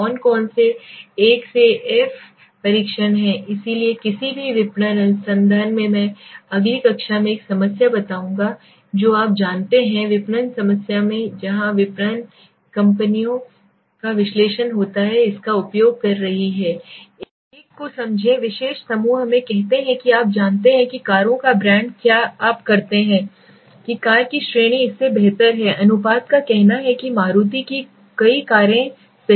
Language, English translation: Hindi, Which is an f test so in any marketing research I will tell a problem in the next class through you know in the marketing problem where marketers companies are using this for analysis understand one particular group let us say you know brand of cars are you say category of car is better than the ratio say Maruti has got several cars right